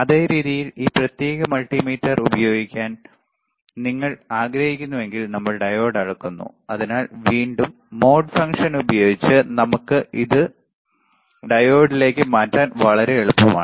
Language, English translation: Malayalam, Same way, if you want to use this particular multimeter, right and we are measuring the diode; So, again using the mode function, we can change it to diode is very easy